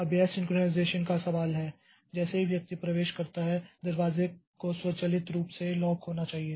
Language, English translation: Hindi, Now this is the question of synchronization like as soon as the person enters the door should automatically get locked